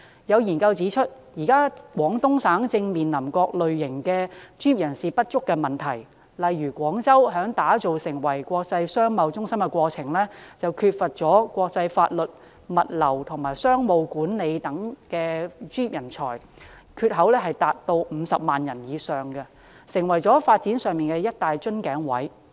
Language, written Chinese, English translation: Cantonese, 有研究指出，現時廣東省正面臨各類專業人士不足的問題，例如廣州在打造成為國際商貿中心的過程中，缺乏國際法律、物流和商務管理等方面的專業人才，缺口達到50萬人以上，成為發展上的一大瓶頸位。, As highlighted in some studies the Guangdong Province is now facing a lack of professionals in various aspects . For instance in the course of turning into an international commercial centre Guangzhou lacks over 500 000 professionals in various aspects such as international laws logistics and business management thus forming a bottleneck in its development